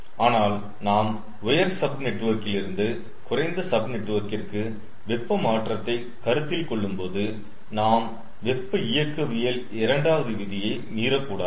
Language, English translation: Tamil, but when we are considering heat transfer from the upper sub network to the lower sub network, we should not also violate second law of thermodynamics